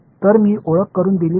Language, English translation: Marathi, So, if I introduce